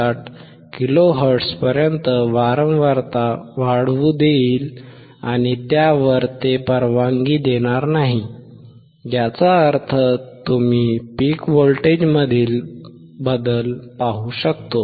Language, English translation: Marathi, 59 kilo hertz and above that it will not allow; that means, you can see the change in the peak voltage